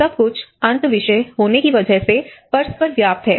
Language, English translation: Hindi, There is always overlap because everything is interdisciplinary